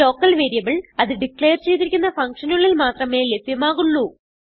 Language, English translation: Malayalam, A local variable is available only to the function inside which it is declared